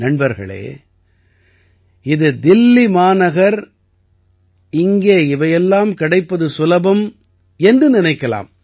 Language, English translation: Tamil, Friends, one may think that it is Delhi, a metro city, it is easy to have all this here